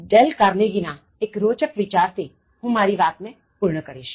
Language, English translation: Gujarati, Let me wind up this, with another interesting thought from Dale Carnegie